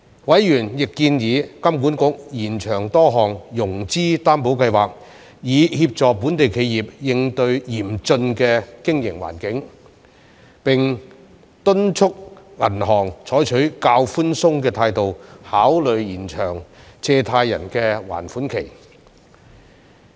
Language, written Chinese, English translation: Cantonese, 委員亦建議金管局延長多項融資擔保計劃以協助本地企業應對嚴峻的經營環境，並敦促銀行採取較寬鬆的態度考慮延長借貸人的還款期。, Members also suggested HKMA extend various financing guarantee schemes to help local enterprises cope with the severe operating environment and urge banks to adopt a more accommodating attitude in considering extension of borrowers repayment schedules